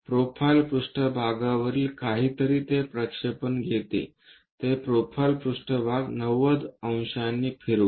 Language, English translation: Marathi, Something on the profile plane pick it the projection, rotate that profile plane by 90 degrees